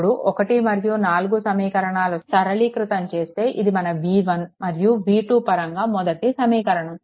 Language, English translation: Telugu, Now solve equation 1 and 4; this is your equation one right in terms of v 1 and v 2 solve equation 1 and 4, right